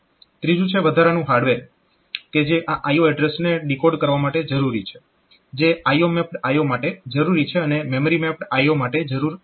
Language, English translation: Gujarati, Thirdly the extra hardware that is needed for decoding this I O addresses that is required for I O mapped I O and not required for the memory mapped I O